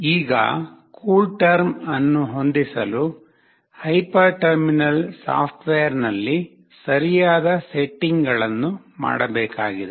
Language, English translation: Kannada, Now, for setting the CoolTerm, proper settings have to be made on the hyper terminal software